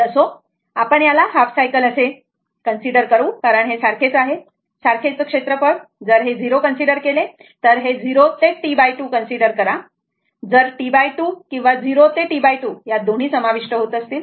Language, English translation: Marathi, So anyway, will consider this half cycle only because these are same, same area; if you consider 0, if you if you consider 0 to T by 2 right, if divided by T by 2 or 0 to T divided by 2, in that both will be covered